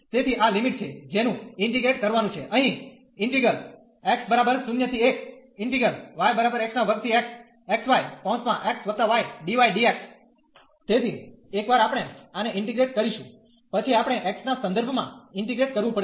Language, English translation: Gujarati, So, once we integrate this one, then we have to integrate then with respect to x